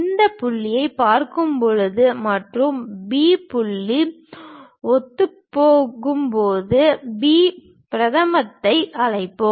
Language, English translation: Tamil, When we are looking at this this point and B point coincides, let us call B prime